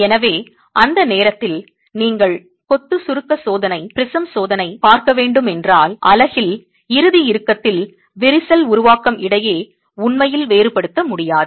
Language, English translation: Tamil, So, at that instant in time, if you were to look at masonry compression test, a prism test, you would really not be able to distinguish between the formation of the final tension cracks in the unit